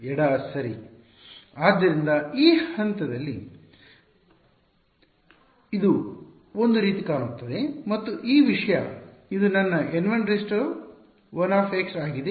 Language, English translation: Kannada, Left right; so, this is what it looks like one at this point and this thing this is my N 1 1 x